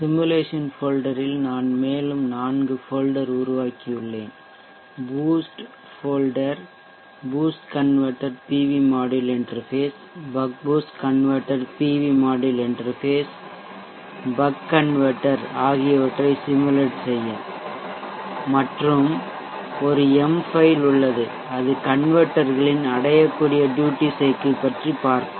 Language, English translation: Tamil, In the simulation folder I have created four more folders the boost folder for simulating the boost converter interface to the pv module, baa boost converter interface to the PV module, the baa converter and there is an M file here in this folder which will check for reach ability of the duty cycle for any given converter